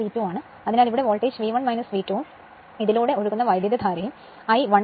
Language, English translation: Malayalam, So, voltage here V 1 minus V 2 and current flowing through this is I 1